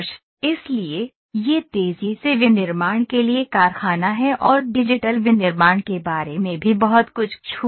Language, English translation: Hindi, So, this is the factory for rapid manufacturing and also have touched a little about digital manufacturing